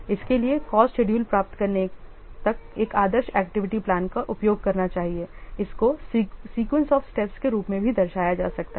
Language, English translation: Hindi, So, going from an ideal activity plan till getting the cost schedule it can be represented as a sequence of steps